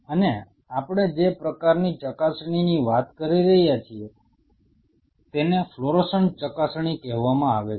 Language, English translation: Gujarati, And the kind of probe are we talking about is called fluorescent probes